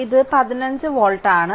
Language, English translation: Malayalam, It is 15 volt